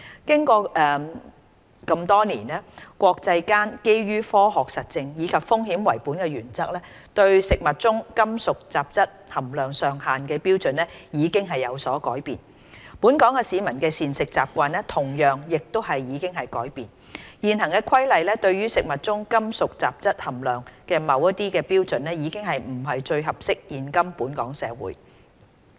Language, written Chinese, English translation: Cantonese, 經過這麼多年，國際間基於科學實證，以及"風險為本"的原則對食物中金屬雜質含量上限的標準已經有所改變，本港市民的膳食習慣同樣亦已改變，現行《規例》對食物中金屬雜質含量的某些標準已不是最適合現今本港社會。, After so many years the international standards for maximum levels of metallic contaminants in food which are based on scientific empirical evidence and the risk - based principle have changed . Certain standards for metallic contaminants in food specified in the existing Regulations have ceased to be the most appropriate for Hong Kong society nowadays